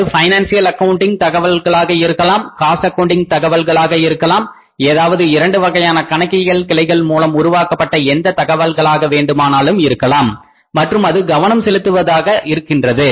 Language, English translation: Tamil, It can be financial accounting information it can be cost accounting information or it can be maybe any information which is generated under the any of the two branches of accounting and attention directing